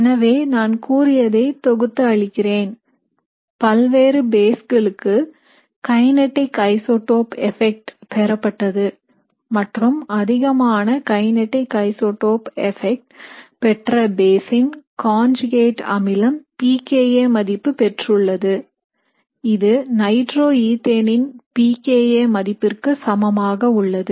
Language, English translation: Tamil, So this is just summarizing what I told you, kinetic isotope effect was determined for various bases and it was observed that the maximum kinetic isotope effect for the base whose conjugate acid had a pKa, which was equal to the pKa of nitroethane